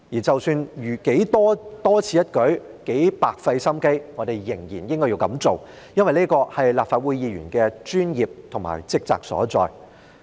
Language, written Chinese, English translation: Cantonese, 即使如何的多此一舉或白費心機，我們仍然應該這樣做，因為這是立法會議員的專業和職責所在。, Despite it being pointless to do so or how our efforts will go down the drain we still should do it for this is the professionalism and duty required of Members of the Legislative Council